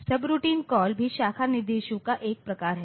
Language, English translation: Hindi, Subroutine call is also a variant of branch instructions